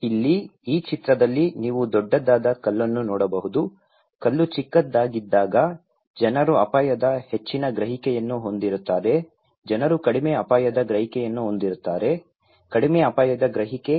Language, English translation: Kannada, Here, you can see in this picture when the stone is bigger, people have greater perception of risk when the stone is smaller, people have less risk perception; a low risk perception